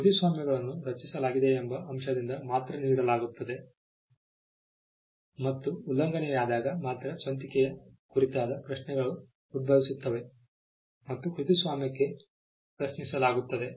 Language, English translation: Kannada, Copyrights are granted by the mere fact that they are created and originality questions on originality would arise only when there is an infringement and there are challenges made to the copyright